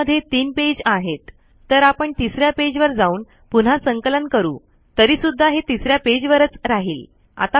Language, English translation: Marathi, So we can go to page three, we can re compile it, it will continue to be in page three